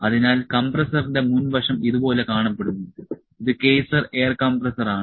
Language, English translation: Malayalam, So, the front view of the compressor looks like this, it is Kaeser air compressor